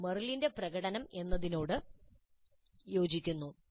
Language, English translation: Malayalam, This corresponds to the demonstrate of Merrill